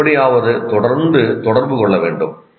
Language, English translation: Tamil, You have to constantly somehow communicate